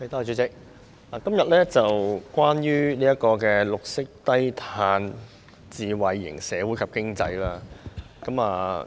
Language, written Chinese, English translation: Cantonese, 代理主席，今天討論的是關於綠色低碳智慧型社會及經濟。, Deputy President our discussion today is about green and low - carbon smart society and economy